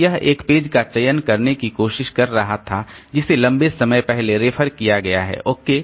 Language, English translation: Hindi, So it was trying to select a page which has been referred long back